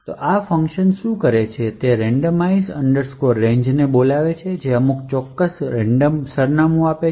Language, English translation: Gujarati, So, what this function does is invoke this randomize range which returns some particular random address